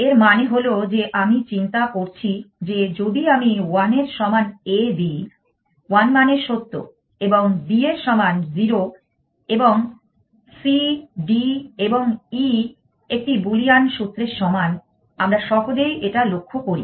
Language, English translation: Bengali, This means that I am thinking weather if I put a equal to 1, 1 meaning true and b is equal to 0 and c, d, e and equal to one Boolean formula we true on notice easily